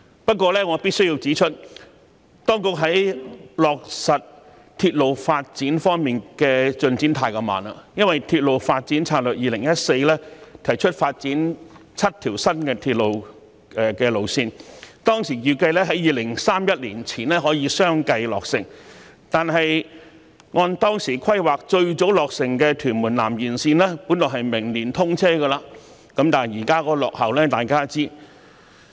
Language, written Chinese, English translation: Cantonese, 不過，我必須指出，當局在落實鐵路發展方面的進展太慢，因為《鐵路發展策略2014》提出發展7條新鐵路路線，當時預計在2031年前可以相繼落成；可是，按當時規劃最早落成的屯門南延綫本來在明年通車，但大家也知道現在已經落後。, However I must point out that the progress in implementing railway development plans is too slow . The reason is that the Railway Development Strategy 2014 has proposed the development of seven new railway lines and it was estimated at the time that they would be completed in succession by 2031 . Nevertheless while the Tuen Mun South Extension would be the first completed project scheduled for commissioning next year according to the plan made back then we know that it is already behind schedule now